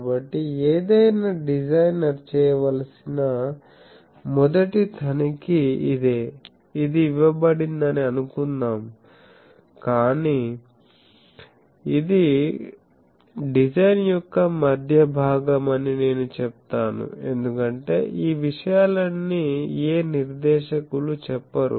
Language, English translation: Telugu, So, this is the first check any designer should make, that suppose this is given these, but I will say that this is a middle part of the design, because no specifier does not all these things